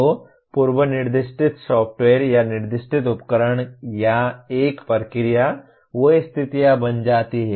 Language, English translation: Hindi, So pre specified software or the stated equipment or a procedure, they become conditions